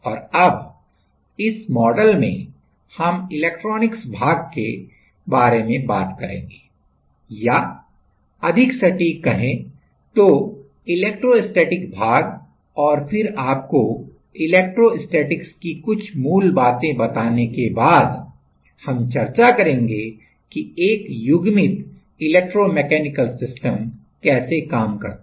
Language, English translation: Hindi, And now, in this model we will switch to electronics or like more precisely electrostatic part and then after giving you some basics of electrostatics, we will discuss that how a coupled electromechanical system works